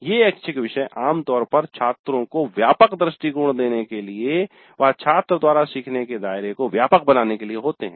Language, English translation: Hindi, These electives are normally more to broaden the scope of the learning by the student to give wider perspective